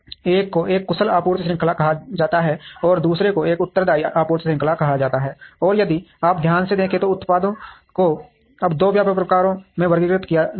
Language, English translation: Hindi, One is called an efficient supply chain, and the other is called a responsive supply chain, and if you see carefully the products are now classified into two very broad types